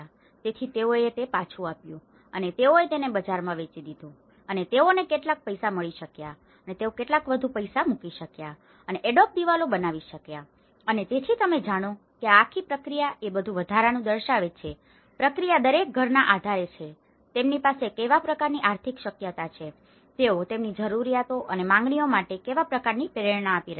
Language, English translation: Gujarati, So, they have given it back and they sold it in the market and they could able to get some money and they could able to put some more money and built the adobe walls and so this whole process you know, itís all showing up an incremental process depending on each household what kind of economic feasibility they had, what kind of infill they are responding to their needs and demands